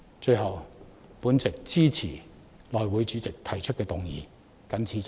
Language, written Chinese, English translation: Cantonese, 最後，我支持內務委員會主席提出的議案。, In conclusion I support the motion proposed by the Chairman of the House Committee